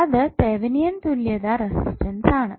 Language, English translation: Malayalam, That will give you simply the Thevenin resistance